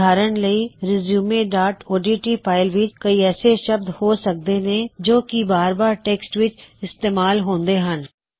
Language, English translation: Punjabi, For example, in our resume.odt file, there might be a few set of words or word which are used repeatedly in the document